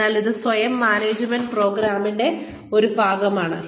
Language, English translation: Malayalam, So, this is, one part of the self management program